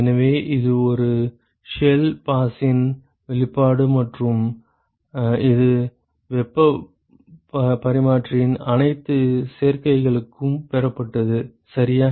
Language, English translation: Tamil, So, that is the expression for one shell pass and this was been derived for all combinations of heat exchanger, ok